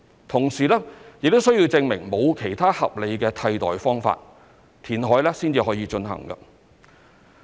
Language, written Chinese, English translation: Cantonese, 同時，亦須證明"沒有其他合理的替代"方法，填海方可進行。, At the same time there must be evidence that there is no reasonable alternative before undertaking reclamation